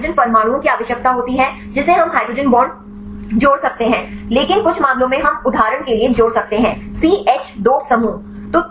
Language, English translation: Hindi, So, we require the hydrogen atoms we can add hydrogen bonds, but some many cases we can add for example, the CH 2 group